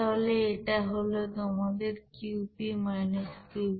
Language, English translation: Bengali, So this is your Qp – Qv